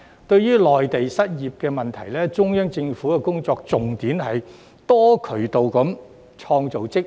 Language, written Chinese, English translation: Cantonese, 對於內地的失業問題，中央政府的工作重點是多渠道創造職位。, Regarding the unemployment in the Mainland the Central Government has focused its work on creating jobs through various channels